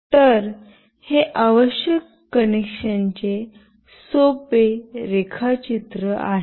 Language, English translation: Marathi, So, this is the simple connection diagram that is required